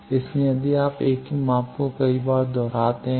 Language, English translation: Hindi, So, if you repeat several times the same measurement